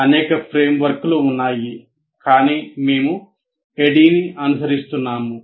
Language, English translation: Telugu, There are several frameworks, but the one we are following is ADDI